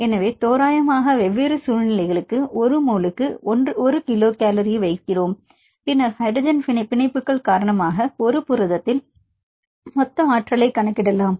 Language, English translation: Tamil, So, at approximate we put 1 kilo cal per mole for the different situations and then you can calculate the total energy in a protein due to hydrogen bonds